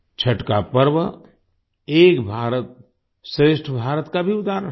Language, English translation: Hindi, The festival of Chhath is also an example of 'Ek Bharat Shrestha Bharat'